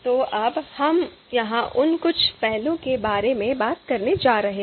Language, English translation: Hindi, So now, we are going to talk about some of those aspects here